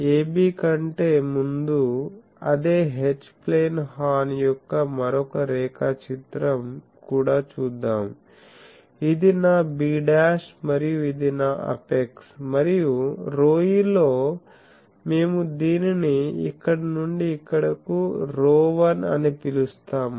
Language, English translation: Telugu, So, AB will be before that also let me have a another drawing of the same H plane horn, this is my b dash and this is my apex and we will call this where in rho e and this one from here to here rho 1 ok